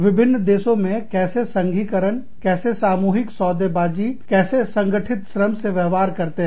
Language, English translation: Hindi, How is unionization, how is collective bargaining, how is organized labor, treated in different countries